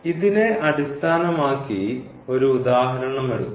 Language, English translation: Malayalam, So, just to take an example based on this